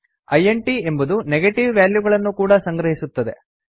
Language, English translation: Kannada, int can also store negative values